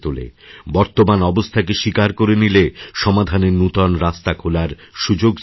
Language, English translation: Bengali, Acceptance brings about new avenues in finding solutions to problems